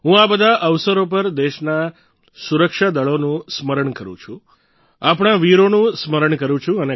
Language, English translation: Gujarati, On all these occasions, I remember the country's Armed Forces…I remember our brave hearts